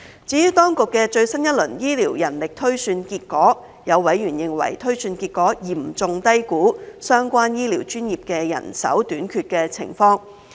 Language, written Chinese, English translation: Cantonese, 至於當局的最新一輪醫療人力推算結果，有委員認為推算結果嚴重低估相關醫療專業的人手短缺情況。, As for the results of the latest round of healthcare manpower projection exercise some members opined that the projection results had seriously underestimated the manpower shortage of the relevant healthcare professions